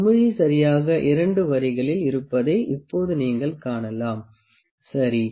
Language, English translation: Tamil, Now you can see the bubble is exactly in the 2 lines, ok